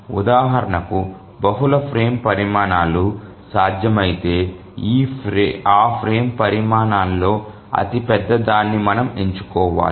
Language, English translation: Telugu, If we find that multiple frame sizes become possible, then we need to choose the largest of those frame sizes